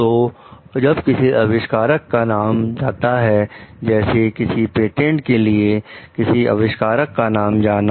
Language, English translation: Hindi, So, when an inventor's names goes like; inventors name goes on the patent